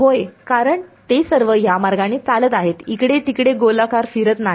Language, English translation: Marathi, Yeah, because they are all going this way there is no swirling around over here